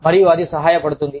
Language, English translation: Telugu, And, that helps